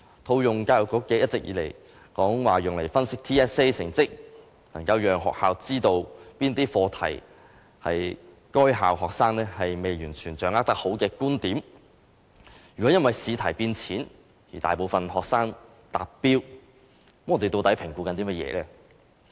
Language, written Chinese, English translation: Cantonese, 教育局一直說，透過對 TSA 成績的分析，能夠讓學校知道哪些課題是該校學生未能完全掌握的，如果因為試題變淺，而令大部分學生達標，究竟我們在評估些甚麼呢？, According to the Education Bureau analysis of TSA performance will allow schools to identify the subjects that the students have not mastered . If easier questions are set and the majority of students will pass the assessment what are we really assessing?